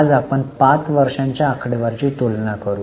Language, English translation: Marathi, Today we'll compare five years figures